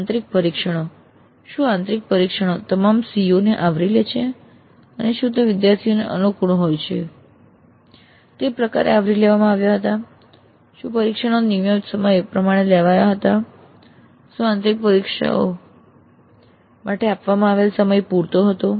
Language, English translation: Gujarati, Did the internal test cover all the COs and were they covered in a fashion which was convenient for the students, what the test scheduled at appropriate times was the time given for the internal test adequate